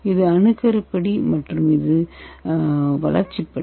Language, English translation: Tamil, This is the nucleation step and this is the growth step